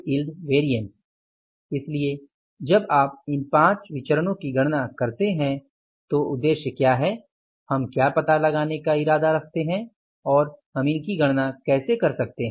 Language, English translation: Hindi, So, when you calculate these five variances, what is the objective, what we intend to find out and how we can calculate these variances